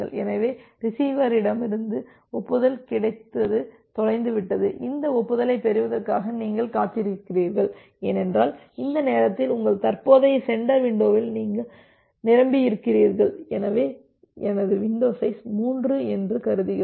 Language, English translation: Tamil, So, once the acknowledgement from receiver gets from this receiver gets lost so, you are keep on waiting for getting this acknowledgement because, at this point you are full with your current sender window so, we are here assuming that my window size is 3